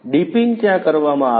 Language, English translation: Gujarati, Dipping is done there